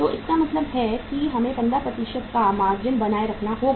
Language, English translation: Hindi, So it means we have to maintain a margin of 15%